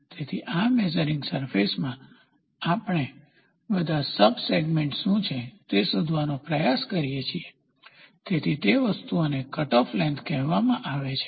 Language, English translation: Gujarati, So, in this measuring surface, we try to find out what are all the sub segments, so those things are called as cutoff lengths